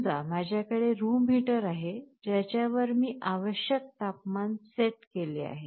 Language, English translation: Marathi, Suppose I have a room heater where I have set a required temperature